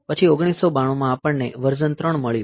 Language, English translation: Gujarati, Then in 1992 we get the version 3